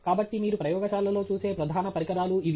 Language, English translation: Telugu, So, these are the major things that you would see in a lab